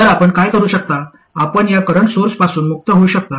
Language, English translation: Marathi, Now the question is how do I get rid of this current source